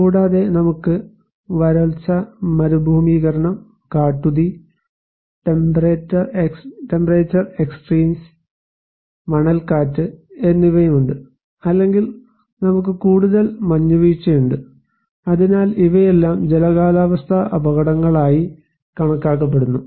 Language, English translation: Malayalam, Also, we have drought, desertification, wildland fires, temperature extremes, sandstorms or we have more snow avalanches so, these are all considered as hydro meteorological hazards